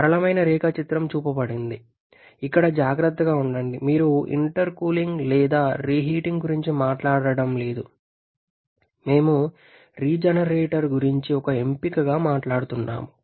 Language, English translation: Telugu, The simple diagram is shown just be careful here you are not talking about intercooling or reheating, we are just talking about regenerator as an option